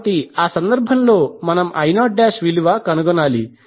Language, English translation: Telugu, So what will be the value of I2